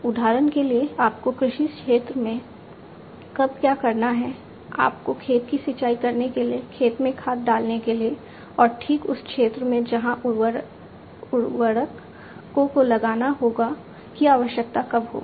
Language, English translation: Hindi, For example, when it is you know when do you need in the agricultural field, when do you need precisely to irrigate the field, to put fertilizers in the field, and exactly the area, where the fertilizers will have to be applied